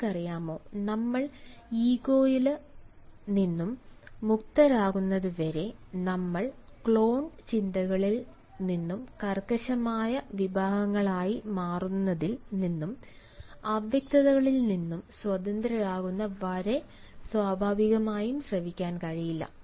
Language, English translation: Malayalam, and you, we cannot listen unless and until we are free from ego classes, we are free from clone thoughts, we are free from becoming rigid categories, we are free from ambiguity